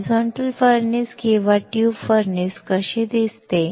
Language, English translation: Marathi, This is how horizontal furnace or tube furnace look like